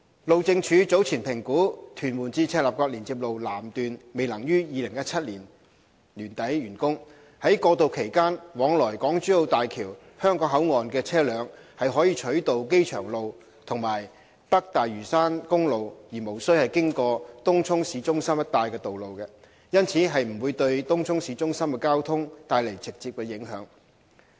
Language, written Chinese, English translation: Cantonese, 路政署早前評估屯門至赤鱲角連接路南段未能於2017年年底完工，在過渡期間往來港珠澳大橋香港口岸的車輛可取道機場路和北大嶼山公路而無需經過東涌市中心一帶的道路，因此，不會對東涌市中心的交通帶來直接影響。, The Highways Department HyD assessed earlier that the southern section of TM - CLKL would not be completed by end - 2017 . Vehicles travelling to HKBCF of HZMB during the transition period would be routed through Airport Road and North Lantau Highway without going through Tung Chung City Centre . Therefore there will be no direct impact on the traffic within the Tung Chung City Centre